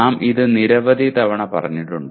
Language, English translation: Malayalam, We have said it several times